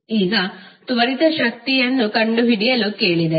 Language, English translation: Kannada, Now, if you are asked to find the instantaneous power